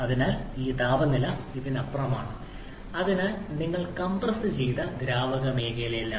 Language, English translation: Malayalam, So this temperature is well beyond this so you are in the compressed liquid zone